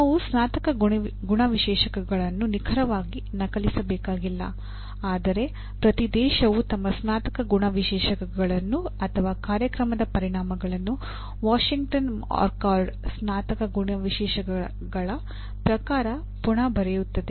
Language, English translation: Kannada, We do not have to exactly copy the Graduate Attributes, but each country will rewrite their Graduate Attributes or program outcomes in the spirit of Graduate Attributes of Washington Accord